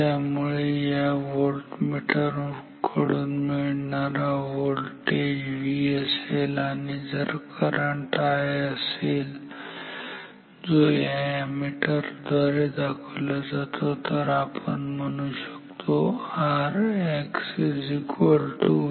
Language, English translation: Marathi, So, if this voltage as given by this voltmeter is equal to V and if the current is I as shown by this ammeter then we can say that R X is V by I